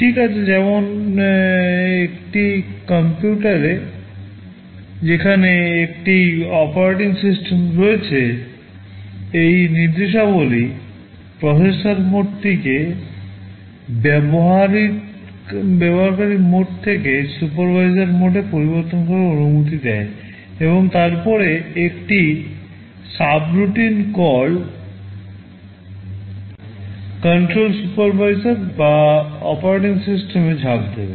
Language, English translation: Bengali, Well in a computer where there is an operating system, these instructions allow the processor mode to be changed from user mode to supervisor mode and then just like a subroutine call control will jump to the supervisor or the operating system